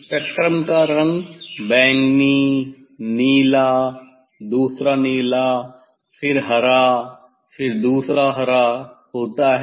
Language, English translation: Hindi, colour of spectrum is violet, blue, another blue, then green, then another green